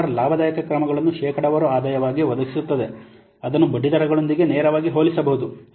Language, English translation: Kannada, IRR provides a profitability measure as a percentage return that is directly comparable with interest rates